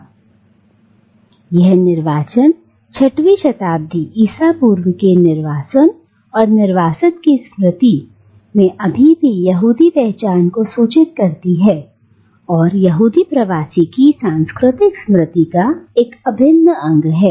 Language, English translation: Hindi, Now, this exile, this 6th century BCE exile and the memory of this exile still informs Jewish identity and is an integral part of the cultural memory of the Jewish Diaspora